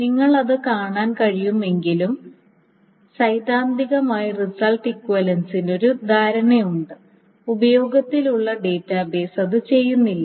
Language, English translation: Malayalam, So although you can see that theoretically there is this notion of result equivalence, database engines do not do that